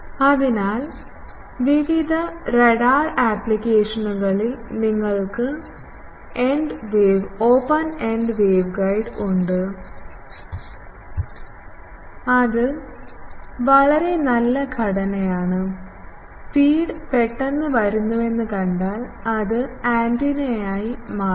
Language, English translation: Malayalam, So, in various radar applications you have open ended waveguide then it is a very good structure, if the you see feed is coming suddenly that is becoming an antenna